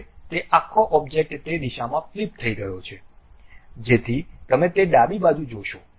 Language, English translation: Gujarati, Now, that entire object is flipped in that direction, so that you will see that left one